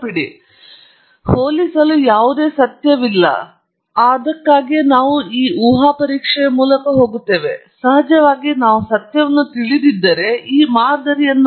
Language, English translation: Kannada, So, there is no truth to compare and that’s why we go through this hypothesis testing; of course, if we know the truth then all this modelling exercise is futile alright